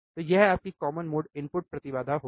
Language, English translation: Hindi, So, that will be your common mode input impedance